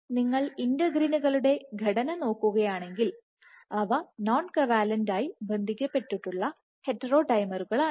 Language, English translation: Malayalam, So, if you look at the structure of integrins, they are non covalently associated heterodimers